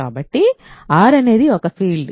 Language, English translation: Telugu, So, R is a field